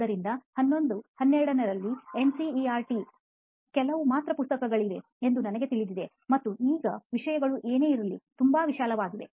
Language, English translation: Kannada, So like in 11th, 12th we have NCERT few books, and we know that these things are going to be important thing and we have to note these things whatever it is